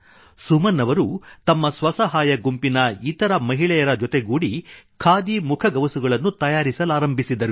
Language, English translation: Kannada, Suman ji , alongwith her friends of a self help group started making Khadi masks